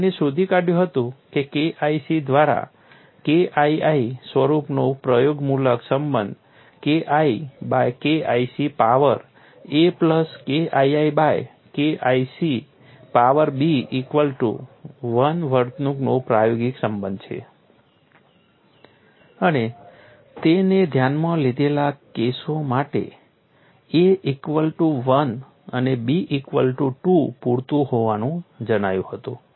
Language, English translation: Gujarati, He found that an empirical relationship of the form K1 by K1 c power a plus K2 by K2 c power b equal to 1 reasonably models the behavior and for the cases he considered a equal to 1 and b equal to 2 was found to be sufficient